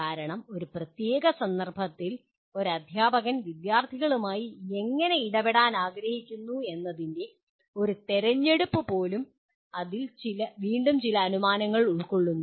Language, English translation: Malayalam, Because, even a choice of how a teacher wants to intervene with the students in a particular context you again there are some assumptions involved in that